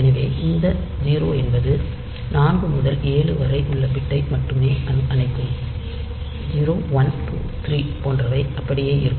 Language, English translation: Tamil, So, you see that this 0 will turn off the bits 4 to 7 only 0, 1, 2, 3 there they will be there